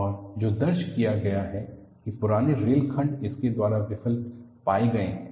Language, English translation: Hindi, And, what is recorded is, the older rail sections are found to fail by this